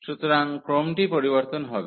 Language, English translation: Bengali, So, the order will be change